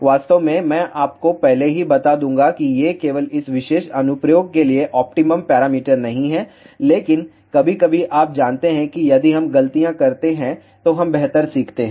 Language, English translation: Hindi, In fact, I will tell you beforehand only these are not the optimum parameters for this particular application, but sometimes you know we learn better if we make mistakes